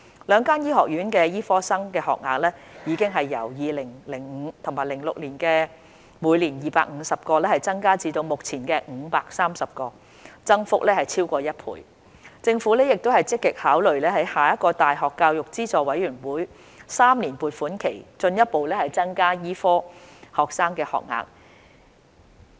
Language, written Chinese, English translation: Cantonese, 兩間醫學院的醫科生學額已由 2005-2006 學年的每年250個增至目前的530個，增幅超過1倍；政府亦積極考慮在下一個大學教育資助委員會3年撥款期進一步增加醫科生學額。, The number of medical training places each year in the two local medical schools have been increased from 250 in the 2005 - 2006 academic year to the current 530 representing an increase of more than one - fold . The Government is also contemplating a further increase in the number of medical training places for the next triennium planning cycle of the University Grants Committee